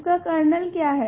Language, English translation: Hindi, What is the kernel of this